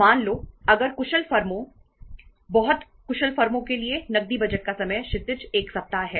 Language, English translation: Hindi, Say if efficient firms, very efficient firms are keeping the time horizon of the cash budget is one week